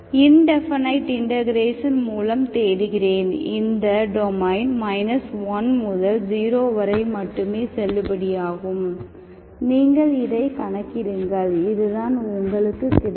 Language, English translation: Tamil, Which I avoided by doing indefinite integration, okay, which is also valid only in this domain, you calculate it, this is what you get